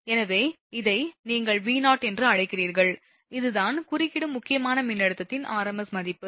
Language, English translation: Tamil, So, this is your what you call V0, that is that rms value of the disruptive critical voltage, right